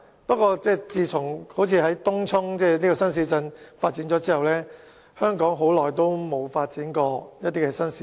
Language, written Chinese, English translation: Cantonese, 不過，自從發展東涌新市鎮後，香港似乎已很久沒有再發展新市鎮。, However it seems that upon the development of the Tung Chung New Town no other new town development has taken place for a long time